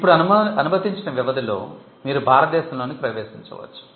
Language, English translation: Telugu, Now within the time period allowed, you can enter India